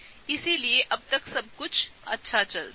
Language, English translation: Hindi, So, everything looks good so far